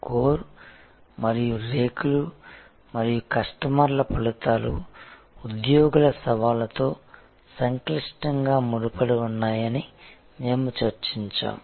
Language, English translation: Telugu, The core and the petals and we have also discussed that the results for customers are intricately linked to the challenges for the employees